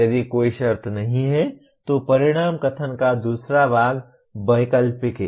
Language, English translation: Hindi, If there is no condition, the second part of the outcome statement is optional